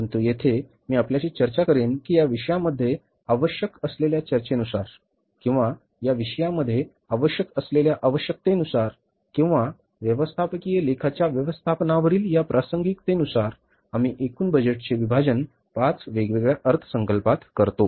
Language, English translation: Marathi, But here I will discuss with you that as per the discussion required in this subject or as per the requirement of this subject or this relevance of the management accounting in the managerial decision making, we divide the total budgets into five different budgets